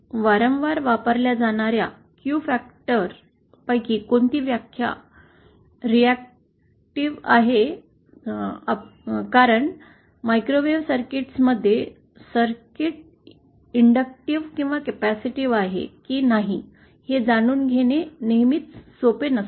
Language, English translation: Marathi, So, now one other definition which of the Q factor that is frequently used is in terms of the reactive because in microwave circuits, it is not always so simple to find out whether a circuit is inductive or capacitive